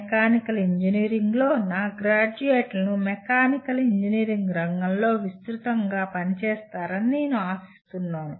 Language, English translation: Telugu, in Mechanical Engineering, I am expecting my graduates will be working in broadly in the mechanical engineering field